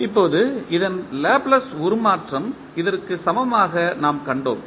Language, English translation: Tamil, Now, the Laplace transform of this we saw equal to this